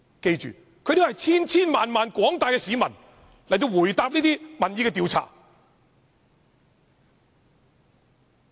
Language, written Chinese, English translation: Cantonese, 大家要記住，這是廣大市民在民意調查的回答。, Members must note that these are the responses given by many Hong Kong people in the opinion poll